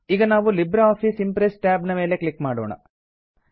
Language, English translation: Kannada, Now lets click on the LibreOffice Impress tab